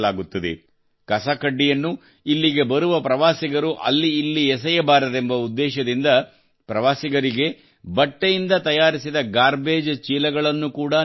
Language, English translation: Kannada, Garbage bags made of cloth are also given to the tourists coming here so that the garbage is not strewn around